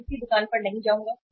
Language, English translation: Hindi, I will not go to any store